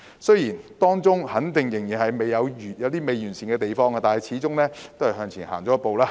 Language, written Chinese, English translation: Cantonese, 雖然當中肯定仍有未完善的地方，但始終是向前踏出一步。, While there are certainly some inadequacies of the Bill it is a first step forward after all